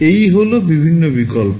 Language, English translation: Bengali, These are the various options